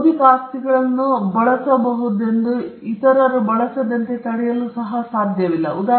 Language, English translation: Kannada, The fact that the intellectual property can be used by some, you cannot stop others from using it